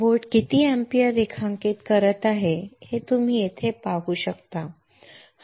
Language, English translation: Marathi, Is the power here you can see the how much ampere the boat is drawing alright